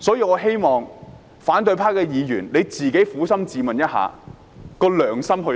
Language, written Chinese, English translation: Cantonese, 我希望反對派議員撫心自問，自己的良心去了哪裏。, I hope that opposition Members will ask themselves honestly where their conscience has gone